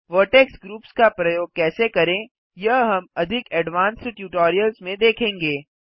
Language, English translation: Hindi, We shall see how to use Vertex groups in more advanced tutorials